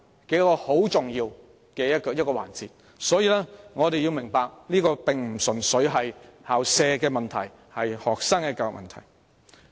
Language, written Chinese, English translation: Cantonese, 這是重要的一環，我們要明白這並非純粹關乎校舍問題，而是關乎對學生的教育問題。, This is important . We have to understand that this concerns not only the school premises but also the education of students